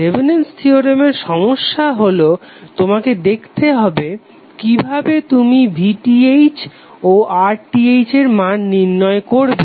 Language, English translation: Bengali, So the problem with the Thevenin’s theorem is that you have to identify the ways how you will calculate the value of VTh and RTh